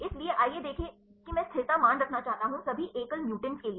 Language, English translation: Hindi, So, let us see I want to have the stability values for all the single mutants right